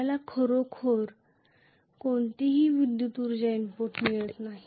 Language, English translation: Marathi, We are really not getting any electrical energy input